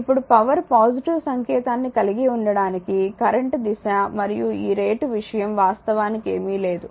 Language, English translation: Telugu, Now in order to power have a positive sign right the direction of current and this rate thing is nothing actually right